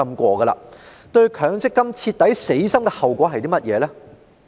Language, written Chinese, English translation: Cantonese, 市民對強積金徹底死心的後果是甚麼？, What is the consequence of people losing all confidence in MPF?